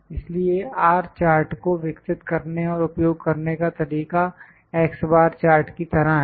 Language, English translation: Hindi, As I said before, so the method of developing and using R chart is same as that of x bar chart